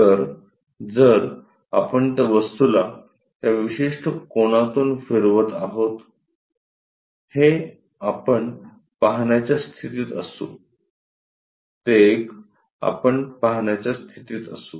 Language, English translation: Marathi, So, here if we are rotating that object by that certain angle; this one, we will be in a position to view; that one, we will be in a position to view